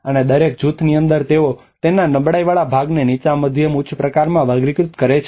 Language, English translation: Gujarati, And within each group they also categorize the vulnerability part of it low, medium, and high